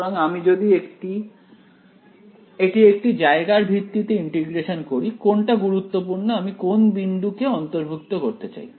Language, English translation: Bengali, So, if I integrate over a region, what is important over here I should include what point